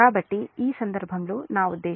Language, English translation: Telugu, so in this case, what will happen